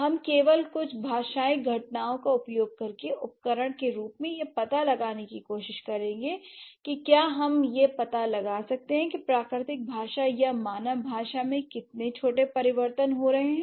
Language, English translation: Hindi, We'll just try to find out using certain linguistic phenomena as tools if we can find out how tiny changes are happening in natural language or in human language